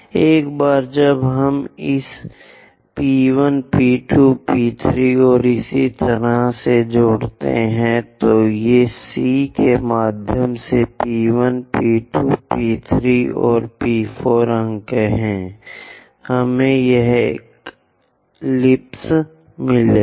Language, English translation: Hindi, Once we join this P 1, P 2, P 3, and so on, these are the points P 1, P 2, P 3, and P 4 via C; we will get this ellipse